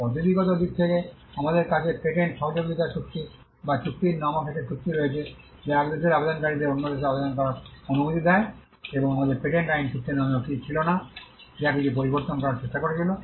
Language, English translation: Bengali, Now, on the procedural side, we have an agreement called the or the treaty called the patent cooperation treaty which allows applicants from one country to file applications in another country and we also had something called the patent law treaty, which tried to make some changes, but it was not widely accepted